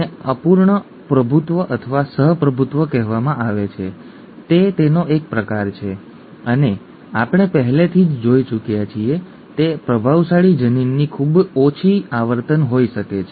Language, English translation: Gujarati, That is called incomplete dominance or co dominance is a variant of that and there could be very low frequency of the dominant allele that we have already seen